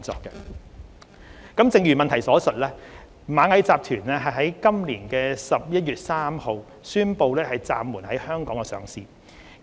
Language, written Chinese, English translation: Cantonese, 正如主體質詢所述，螞蟻集團在今年11月3日宣布暫緩在香港上市。, As mentioned in the main question Ant Group announced on 3 November this year its suspension of listing in Hong Kong